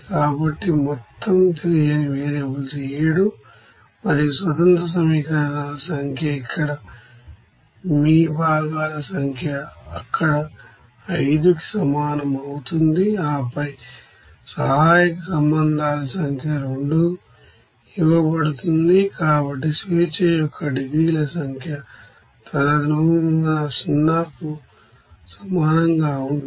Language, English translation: Telugu, So total unknown variables are 7 and number of independent equations are here that is number of your components, that would be equals to here 5 and then number of auxiliary relations is given 2, so number of degrees of freedom will be equals to 0 accordingly